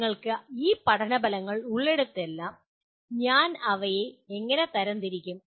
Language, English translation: Malayalam, Wherever you have these learning outcomes how do I classify them